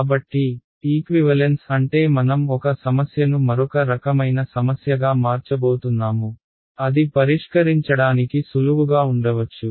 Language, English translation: Telugu, So, equivalence means I am going to convert one problem to another kind of problem which may be easier to solve that is the objective ok